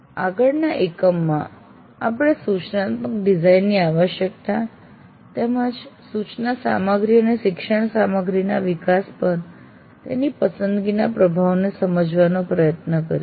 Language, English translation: Gujarati, And in the next unit, we will try to understand the need for instruction design and the influence of its choice and developing the instruction material and learning material